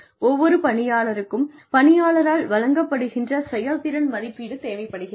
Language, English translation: Tamil, Every employee requires assessment of the performance, that has been delivered by the employee